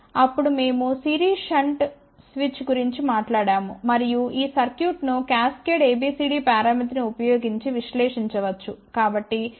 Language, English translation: Telugu, Then we had talked about series shunt switch and this circuit can be analyzed using cascaded A B C D parameter